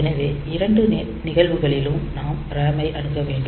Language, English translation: Tamil, So, we need to access RAM in both the cases